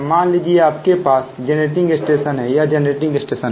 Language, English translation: Hindi, and suppose you have a generating stations, this is generating stations